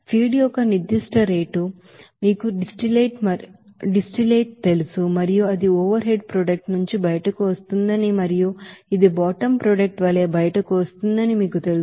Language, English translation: Telugu, So at a you know that certain rate of that you know feed will be you know distillate and it will be coming out from the overhead product and it will be coming out as a bottom product